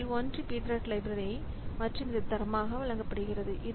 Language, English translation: Tamil, So one of them is this P threads library and it is provided as a standard